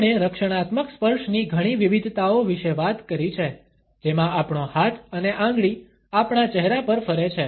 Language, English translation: Gujarati, We have talked about several variations of the defensive touches, in which our hand and finger moves across our face